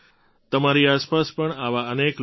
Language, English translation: Gujarati, There must be many such people around you too